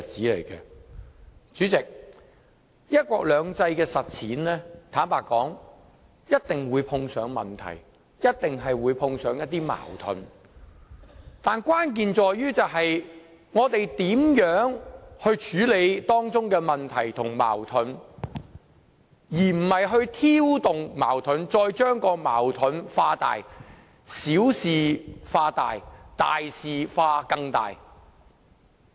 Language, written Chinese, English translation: Cantonese, 坦白說，實踐"一國兩制"一定會碰上問題和矛盾，關鍵在於我們如何處理當中的問題和矛盾，而不是挑動矛盾，再把矛盾化大，小事化大，大事化更大。, To be honest the implementation of one country two systems is bound to meet with problems and conflicts . What is crucial is how we deal with such problems and conflicts . We should not stir up or intensify conflicts nor should we magnify minor issues or exaggerate major issues